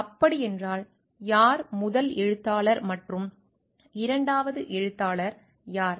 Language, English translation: Tamil, So, who becomes a first author and who becomes the second author